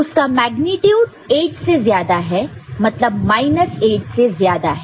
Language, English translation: Hindi, The magnitude is more than 8 so number is more than minus 8 ok